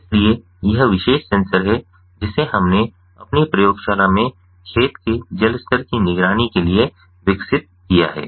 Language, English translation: Hindi, so this is this particular sensor which we have developed in our lab for monitoring the water level in the field